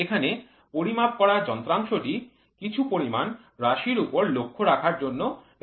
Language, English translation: Bengali, So, measure here the measuring device is used to keep a track of some quantity